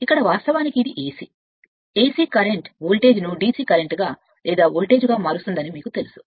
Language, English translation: Telugu, Here actually you know it will be your convert AC, AC current voltage to DC current or voltage this right